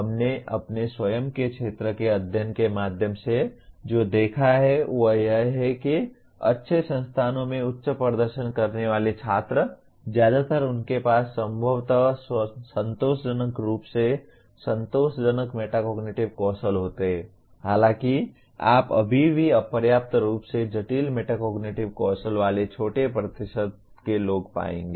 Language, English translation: Hindi, What we observed through our own field study is that high performing students in good institutions, mostly they have possibly reasonably satisfactory metacognitive skills though you will still find small percentage of people with inadequate metacognitive skills